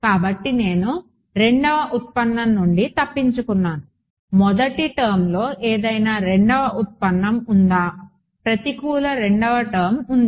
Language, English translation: Telugu, So, have I escaped the second derivative, is there any first second derivative in the first term negative second term is there